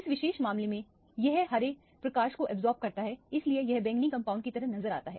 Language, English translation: Hindi, In this particular case it absorbs the green light that is why it looks like a violet compound